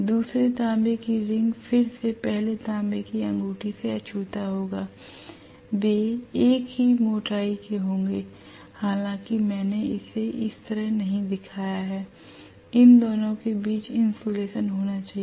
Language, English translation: Hindi, The second copper ring again will be insulated from the first copper ring they will be of same thickness although I have not shown it that way, that should be insulation between these two